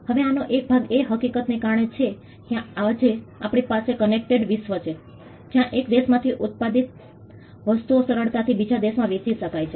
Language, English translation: Gujarati, Now, part of this is due to the fact that today we have a connected world where things manufactured from one country can easily be sold in another country